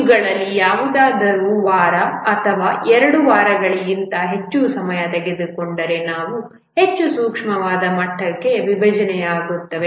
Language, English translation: Kannada, If any of these takes more than a week or 2, then these are decomposed into more finer level